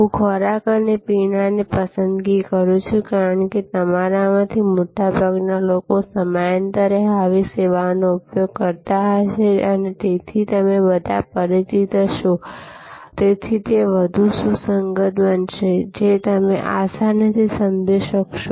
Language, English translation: Gujarati, I am choosing food and beverage, because most of you will be using such service time to time and so you will all be familiar, so it will become more relevant; if you apply your mind to it